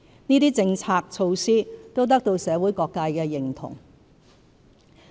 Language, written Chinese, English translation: Cantonese, 這些政策措施都得到社會各界的認同。, These initiatives have received wide recognition from all sectors of the community